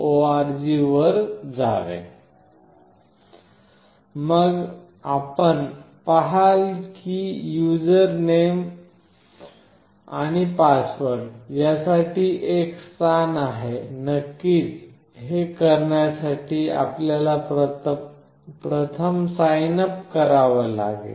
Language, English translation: Marathi, org Then you see that there is a place for user name and password; of course, you have to first signup to do this